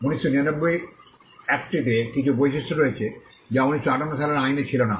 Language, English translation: Bengali, The 1999 act has certain features which were not there in the 1958 act